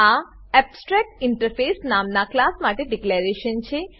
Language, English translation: Gujarati, This is declaration for a class named abstractinterface